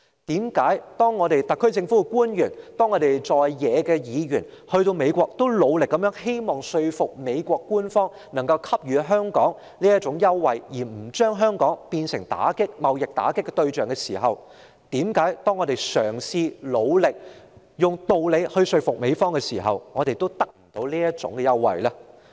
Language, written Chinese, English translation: Cantonese, 特區政府官員和在野議員曾在美國努力說服美國官員為香港提供優惠，不要把香港變為貿易打擊的對象，為何當我們努力嘗試以道理說服美國時，我們仍得不到這種優惠呢？, Officials of the SAR Government and Members from the opposition have made strenuous efforts in the United States to persuade government officials of the United States to offer concessions to Hong Kong and not to make Hong Kong the target of the trade war . Yet why can we not get such concessions despite our persistent attempt to convince the United States with reasons?